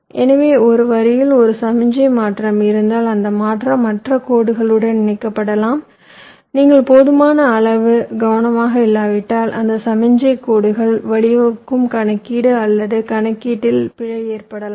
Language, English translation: Tamil, so because of that, if there is a signal transition on one line, that transition can get coupled to the other line and if are not careful enough, this can lead to an error in the calculation or computation which those signal lines are leading to